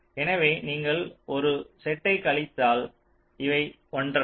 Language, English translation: Tamil, so if you take a set subtraction, these are not the same